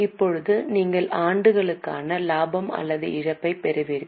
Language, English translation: Tamil, Now you get the profit or loss for the year